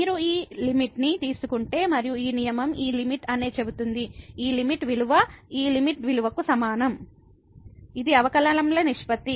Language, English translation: Telugu, But if you take this limit and this rule says that this limit, this limiting value is equal to this limiting value which is the ratio of the derivatives